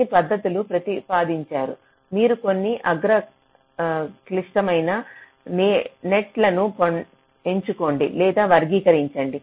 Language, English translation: Telugu, so some method have been proposed that you select or classify some of the top critical nets